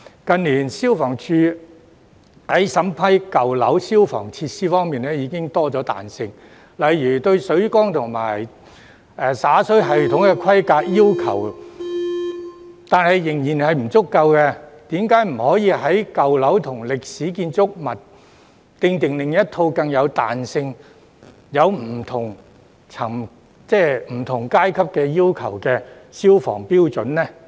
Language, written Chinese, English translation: Cantonese, 近年，消防處在審批舊樓消防設施方面已增加彈性，但水缸和灑水系統的規格要求仍然不夠彈性，為甚麼不可為舊樓和歷史建築物訂定另一套更具彈性並設有分級要求的消防標準？, In recent years FSD has allowed more flexibility in vetting and approving the fire safety installations and equipment in old buildings but the specification requirements of supply tanks and sprinkler systems are still not flexible enough . Why can FSD not formulate separately a set of more flexible fire safety standards with tiered requirements for old and historic buildings?